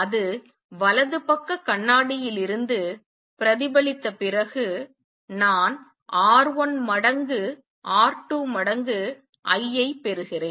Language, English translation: Tamil, And after its get reflected from the right side mirror I get R 1 times R 2 times I